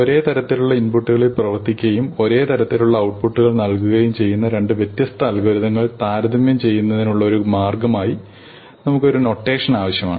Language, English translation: Malayalam, And we need a notation or a way of comparing two different algorithms, which operate on the same types of inputs and produce the same types of outputs